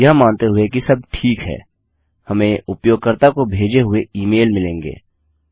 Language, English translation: Hindi, Presuming that everything is okay we are going to get the email sent to the user